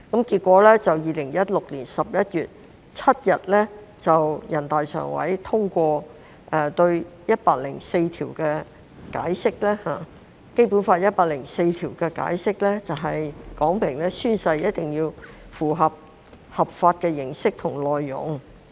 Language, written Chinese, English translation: Cantonese, 結果 ，2016 年11月7日全國人民代表大會常務委員會通過對《基本法》第一百零四條的解釋，說明宣誓一定要符合法定的形式和內容要求。, As a result on 7 November 2016 the Standing Committee of the National Peoples Congress NPCSC adopted the Interpretation of Article 104 of the Basic Law which states the legal requirements in respect of the form and content of the oath